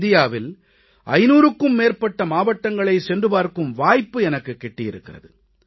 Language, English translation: Tamil, This is my personal experience, I had a chance of visiting more than five hundred districts of India